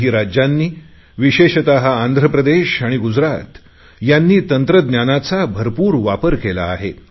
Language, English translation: Marathi, Some states, especially Gujarat and Andhra Pradesh have made full use of technology